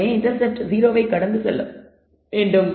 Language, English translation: Tamil, So, therefore, the intercept should pass through 0